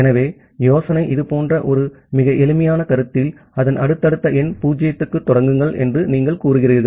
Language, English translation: Tamil, So, the idea is something like this, in a very simplified notion, that you say start to its subsequent number 0